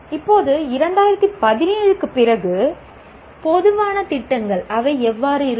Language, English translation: Tamil, Now, general programs after 2017, how do they look